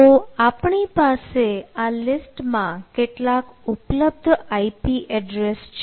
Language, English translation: Gujarati, so we have some allocated i p address